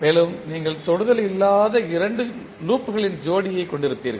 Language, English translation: Tamil, And, then you will have set of two non touching loops